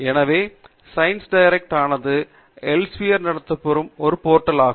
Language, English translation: Tamil, So, ScienceDirect is one such portal that is run by Elsevier